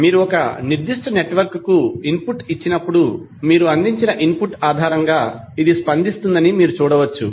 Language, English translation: Telugu, So, you can see that when you give input to a particular network it will respond based on the input which you have provided